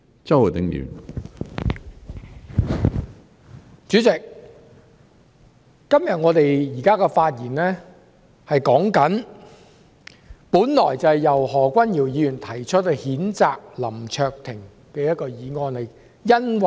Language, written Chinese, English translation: Cantonese, 主席，我們現時這項辯論，本來是由何君堯議員提出譴責林卓廷議員的議案。, President our current debate is originally about the motion proposed by Dr Junius HO to censure Mr LAM Cheuk - ting